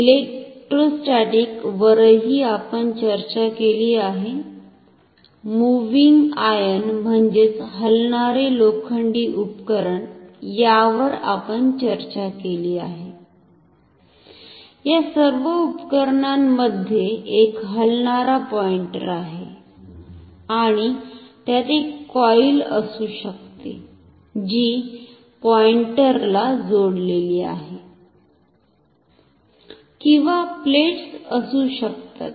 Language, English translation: Marathi, Electrostatic also we have discussed, moving iron we have discussed, in all these instruments, there is a moving pointer and it can have a coil which is attached to the pointer or may be plates